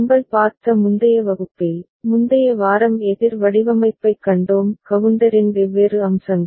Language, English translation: Tamil, In the previous class we had seen, previous week we had seen counter design; different aspects of counter